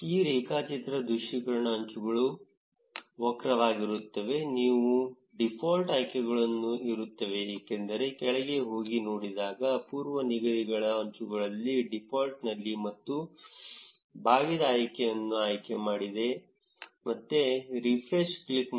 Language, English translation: Kannada, In this graph visualization, the edges are curved, because that is what is present in the default options; scroll down in the presets default in edges and unselect the curved option again click on refresh